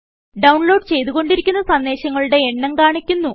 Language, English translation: Malayalam, It displays the number of messages that are being downloaded